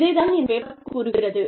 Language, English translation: Tamil, This is what, this paper talks about